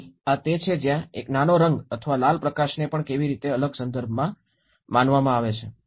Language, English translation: Gujarati, So this is where again even a small colour or a red light how it is perceived in a different context